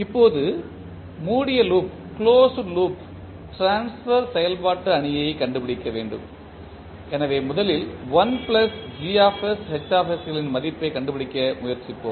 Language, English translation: Tamil, Now, we need to find the closed loop transfer function matrix so first we will try to find out the value of I plus Gs Hs